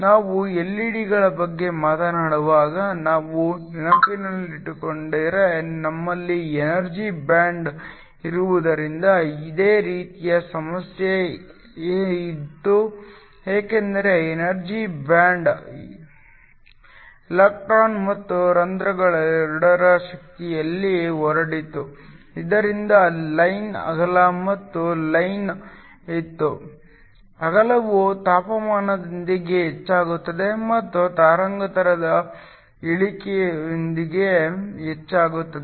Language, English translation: Kannada, If we remember when we talk about LED’s, we also had a similar problem where we had an energy band because of the energy band there was a spread in the energy of both the electrons and the holes so that there was a line width and the line width increased with increase with the temperature and also with a decrease in the wavelength